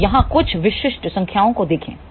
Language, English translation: Hindi, So, let just look at some typical numbers here